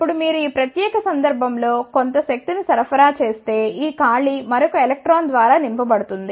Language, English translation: Telugu, Now, if you supply some energy in this particular case this vacancy is filled by another electron